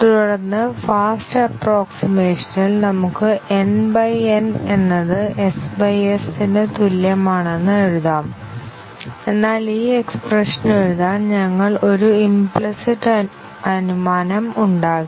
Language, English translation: Malayalam, And then, with the fast approximation, we can write n by N is equal to small s by capital S, but to write this expression, we have made a implicit assumption